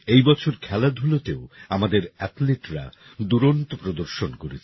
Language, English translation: Bengali, This year our athletes also performed marvellously in sports